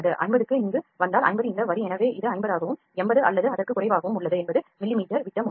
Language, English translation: Tamil, If 50 comes here 50 is this line so it is also 50 it is around 80 or less than eighty mm dia is there